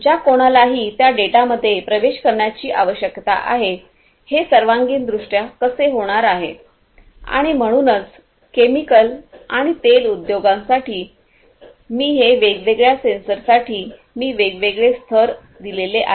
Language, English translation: Marathi, Whoever needs access to that data so, this is holistically how it is going to happen and so, for chemical and oil industry these different sensors you know I have given different levels for different sensors that could be used